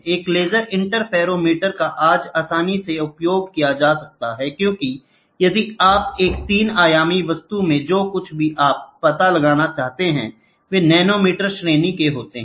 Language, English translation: Hindi, Laser interferometer is exhaustively used today because if you wanted to find out in a 3 dimensional object; where the features whatever you do are of nanometer range